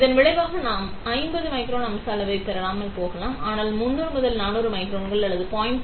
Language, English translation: Tamil, As a result we might not get up to 100 micron, 50 micron feature size but we can work with around 300 400 microns or 0